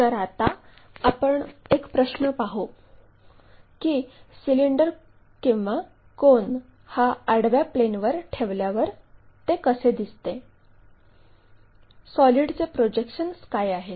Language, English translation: Marathi, Now, let us ask a question if a cylinder or cone is placed on horizontal plane, how it looks like, what are the projections for the solid